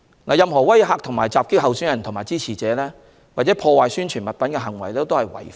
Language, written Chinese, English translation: Cantonese, 任何威嚇和襲擊候選人及其支持者，或破壞宣傳物品的行為均屬違法。, It is against the law to intimidate and attack candidates and their supporters or to vandalize publicity materials